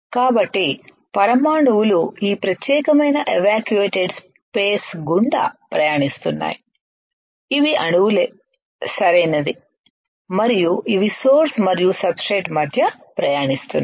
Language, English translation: Telugu, So, the atoms are traveling through this particular evacuated space these are atoms right and it is traveling between source and substrate